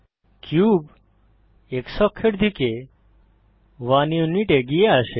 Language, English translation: Bengali, The cube moves forward by 1 unit on the x axis